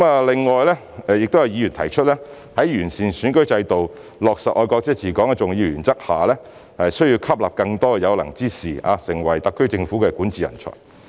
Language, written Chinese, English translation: Cantonese, 另外，有議員提出在完善選舉制度，落實"愛國者治港"的重要原則下，需要吸納更多有能之士，成為特區政府的管治人才。, Moreover Members suggested that upon the improvement of the electoral system and the implementation of the important principle of patriots administering Hong Kong we should recruit more able people to become talents in governance in the SAR Government